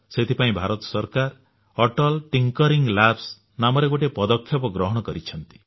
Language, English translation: Odia, And that is why the Government of India has taken the initiative of 'Atal Tinkering Labs'